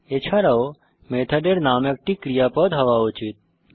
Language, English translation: Bengali, Also the method name should be a verb